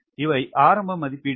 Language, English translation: Tamil, these are initial estimates